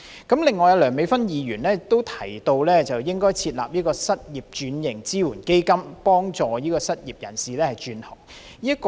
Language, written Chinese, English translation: Cantonese, 此外，梁美芬議員提到應該設立失業轉型支援基金，幫助失業人士轉行。, In addition Dr Priscilla LEUNG suggested that a support fund for occupation switching should be established to assist the unemployed in switching to other trades